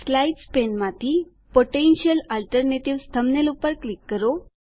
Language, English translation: Gujarati, Lets click on the thumbnail Potential Alternatives from the Slides pane